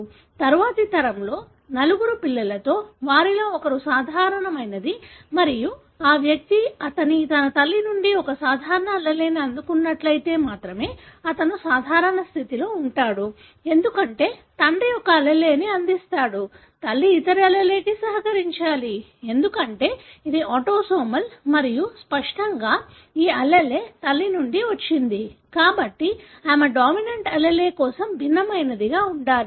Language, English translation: Telugu, In the next generation, of the four children, one of them is normal and this individual, he could be normal only if he had received a normal allele from her mother, because father would contribute one allele, mother has to contribute the other allele, because it is autosomal and obviously, this allele should have come from mother, therefore she should be heterozygous for the dominant allele